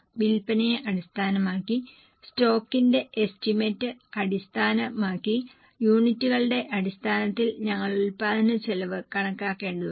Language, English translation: Malayalam, Based on sales and based on the estimation of stock we will have to calculate the production budget in terms of units